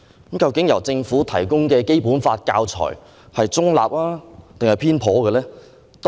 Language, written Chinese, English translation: Cantonese, 究竟政府提供的《基本法》教材是中立還是偏頗？, Is the teaching material on the Basic Law provided by the Government impartial or biased?